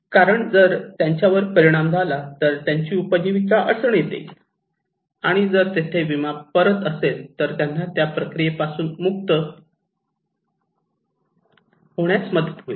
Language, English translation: Marathi, Because if they are impacted, their livelihood would be hampered, and if they have insurance back there that can help them to recover from that process